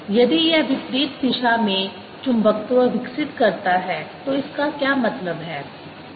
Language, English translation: Hindi, if it develops magnetization in the opposite direction, what does it mean